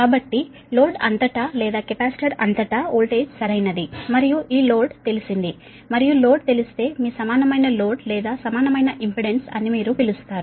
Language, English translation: Telugu, so voltage across the load or across the capacitor is same, right, and this load is known and this load is known that equivalent your, what you call equivalent load or equivalent impudence, can be obtained